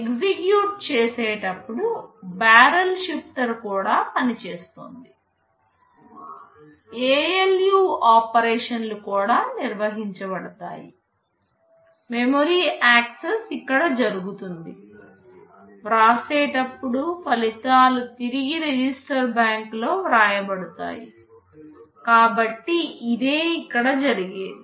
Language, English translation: Telugu, During execute the barrel shifter is also working, ALU operations also carried out, memory access are carried out here; during write, the results written back into the register bank, so it is done here